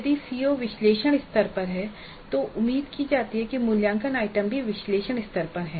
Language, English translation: Hindi, If the CO is at analyze level it is expected that the assessment item is also at the analyzed level